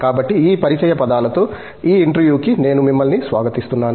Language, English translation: Telugu, So, with these words of introductions, I welcome you to this interview